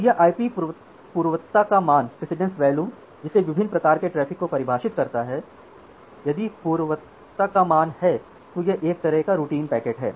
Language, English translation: Hindi, So this IP precedence value it define different kind of traffic say if the precedence value is 0 then it is a kind of routine packets